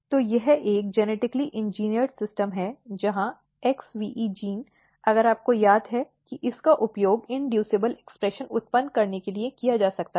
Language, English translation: Hindi, So, this is a genetically engineered system where XVE gene if you recall can be used to generate inducible expression